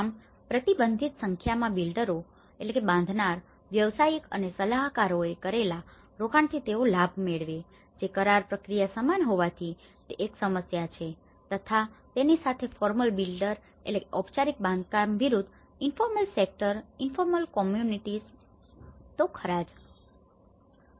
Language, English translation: Gujarati, And this is where, a restricted number of builders, professionals and advisors benefit from the investment made and whatever it is a kind of contractual process and this the problem with this is where a formal builder versus with the informal sector, the informal communities